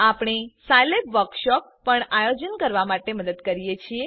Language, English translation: Gujarati, We also help organize Scilab Workshops